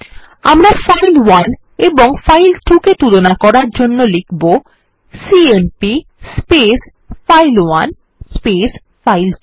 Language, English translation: Bengali, To compare file1 and file2 we would write cmp file1 file2